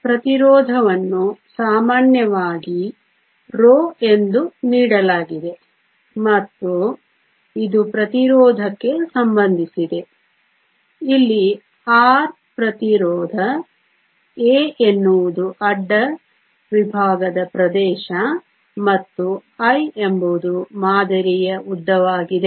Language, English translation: Kannada, Resistivity is typically given as row and it is related to the resistance by; where R is the resistance, A is the cross sectional area and l is the length of the sample